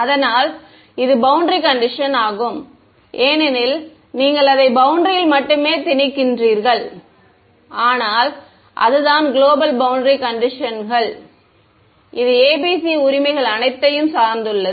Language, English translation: Tamil, So, that is also boundary condition because you are imposing it only on the boundary, but that is the global boundary conditions it depends on all of these right